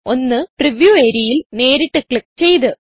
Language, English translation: Malayalam, One by clicking directly in the preview area..